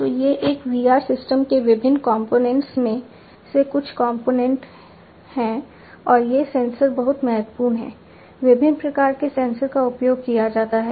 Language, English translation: Hindi, So, these are the overall the different components of a VR system some of the different components, and these sensors are very crucial different types of sensors are used